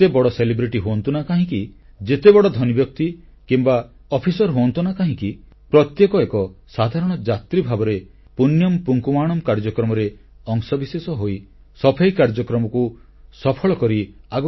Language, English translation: Odia, However big a celebrity be, or however rich one might be or however high an official be each one contributes as an ordinary devotee in this Punyan Poonkavanam programme and becomes a part of this cleanliness drive